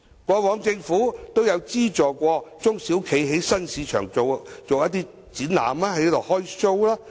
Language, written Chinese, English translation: Cantonese, 過往政府都有資助中小企在新市場做一些展覽，"開 show"。, In the past the Government did provide subsidies to SMEs to organize some exhibitions and shows in new markets